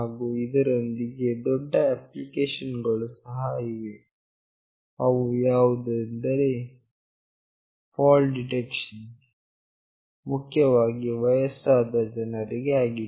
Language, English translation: Kannada, And also there is a very vital application like fall detection mainly for elderly people